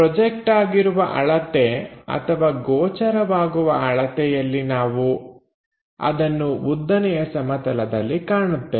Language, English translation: Kannada, Projected length, the apparent one we will see it on the vertical plane